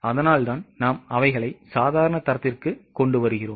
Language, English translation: Tamil, That is why we come, we sort of bring them down to normal standards